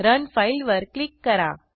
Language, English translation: Marathi, Then, Click on Run File